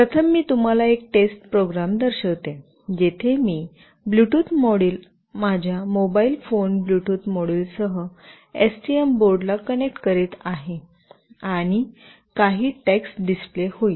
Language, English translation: Marathi, First I will show you a test program, where I will be connecting the Bluetooth module with STM board along with my mobile phone Bluetooth module, and it will display some text